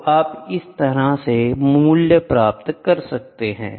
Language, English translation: Hindi, So, you get the value like this